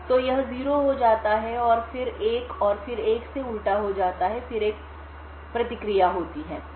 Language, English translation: Hindi, So, this gets 0 gets inverted to 1 then 0 and then 1 again and then there is a feedback